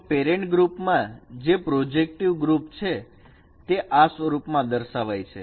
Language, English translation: Gujarati, So the parent group which is the projective group that is represented in this form